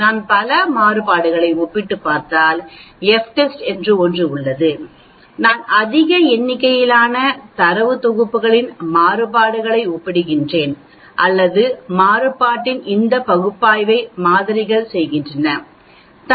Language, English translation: Tamil, If I am comparing variances there is something called f test, if I am comparing a variances of a large number of data sets or samples this analysis of variance